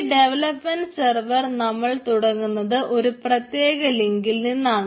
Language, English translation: Malayalam, the development server has been started in this particular link